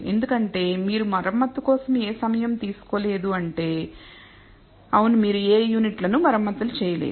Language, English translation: Telugu, Which means because you have not taken any time for servicing, yes because you have not repaired any units